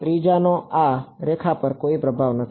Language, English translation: Gujarati, The third has no influence on this line right